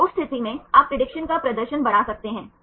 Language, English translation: Hindi, So, in that case you can enhance the prediction performance